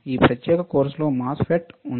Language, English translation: Telugu, What we are using are MOSFETs